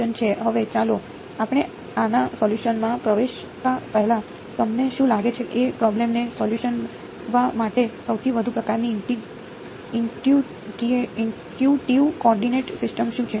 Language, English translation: Gujarati, Now, let us before we get into solving this, what do you think is the most sort of intuitive coordinate systems to solve this problem